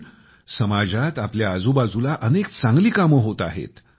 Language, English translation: Marathi, But some really good work is being done around us, in our society